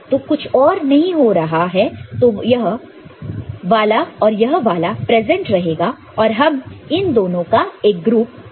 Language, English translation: Hindi, So, if nothing else is there only this one and this one is present; that means, this one and this one is present … we can form a group of these two